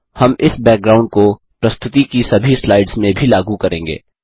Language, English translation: Hindi, We shall also apply this background to all the slides in the presentation